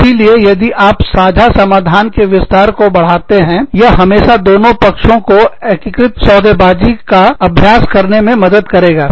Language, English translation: Hindi, So, if you expand the range of common solutions, it always helps both parties, to go in for an, integrative bargaining exercise